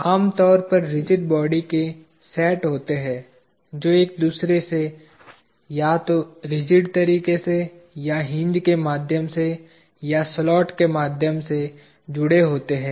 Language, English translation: Hindi, Usually there are sets of rigid bodies that are connected to each other, either in a rigid way or through a hinge or through a slot